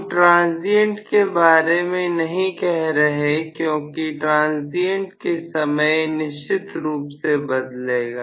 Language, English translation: Hindi, Not during transient, during transient it will definitely vary